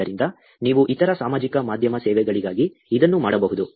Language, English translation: Kannada, So, you can actually do it for other social media services, yourself